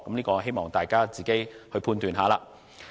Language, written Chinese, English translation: Cantonese, 我希望大家自行判斷。, Please judge for yourselves